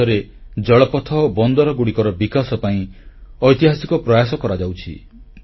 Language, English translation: Odia, Today there are landmark efforts, being embarked upon for waterways and ports in our country